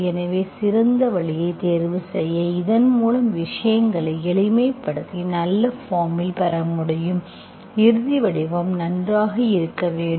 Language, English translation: Tamil, So you have to choose the best way so that you can simplify things and get in a good form, final form should be nicer